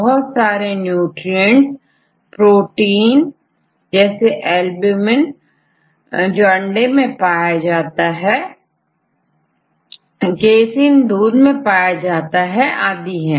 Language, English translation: Hindi, So, there are various nutrient proteins like ovalbumin that is available in egg right like the egg white and the casein in milk and so on